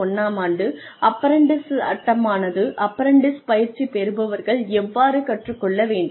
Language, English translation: Tamil, And, apprentices act 1961, gives an idea of, how the apprentices should be treated what they should learn and, what the mentor should be doing